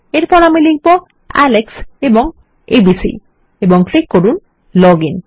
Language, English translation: Bengali, Next Ill type Alex and 123, sorry abc and click log in